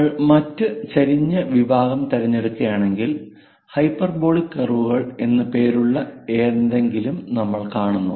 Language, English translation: Malayalam, If we are picking other inclined section, we see something named hyperbolic curves